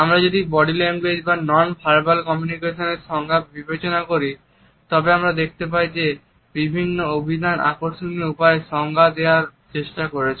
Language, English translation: Bengali, If we look at the definitions of body language or the nonverbal aspects of communication, we find that different dictionaries have tried to define them in interesting manner